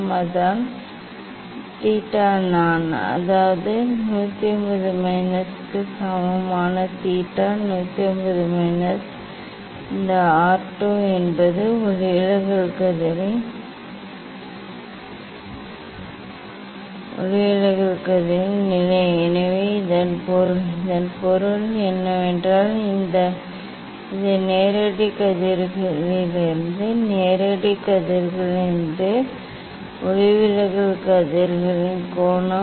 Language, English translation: Tamil, that is theta I; that is theta i equal to 180 minus; 180 minus this R 2 means refracted rays position of the refracted rays minus the position of the direct rays So that means, this from direct rays from direct rays what is the; what is the angle of the refracted rays